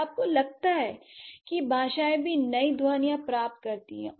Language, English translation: Hindi, So, do you think languages also gain new sounds